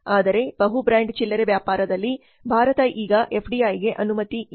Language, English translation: Kannada, However in multi brand retailing FDI is not allowed in India now